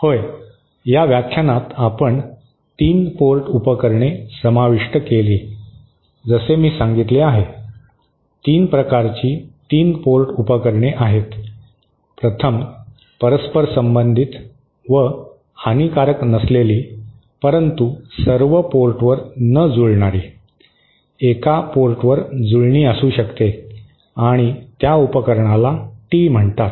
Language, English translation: Marathi, Ha so, in this lecture we cover the 3 port devices as I said, there are 3 types of 3 port devices, the 1st one being reciprocal and also lossless but not matched at all ports, it can be have a match at one port and that device is called a tee